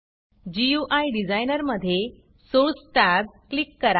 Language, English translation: Marathi, In the GUI Designer, click the Source tab